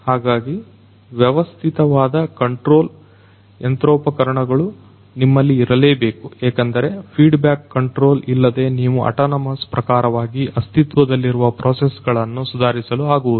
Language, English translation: Kannada, So, you need to have a proper control machinery in place because without the feedback control you are not going to improve the existing processes in an autonomous fashion, right